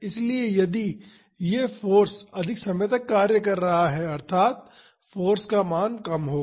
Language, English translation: Hindi, So, if this force is acting for a large duration; that means, the value of the force will be less